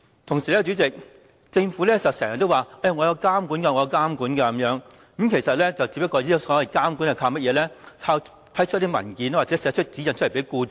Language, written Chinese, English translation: Cantonese, 同時，主席，政府經常說有監管，所謂的監管只不過是批出文件或發指引給僱主。, Meanwhile President the Government often says there is supervision but the so - called supervision is merely issuing documents or guidelines to employers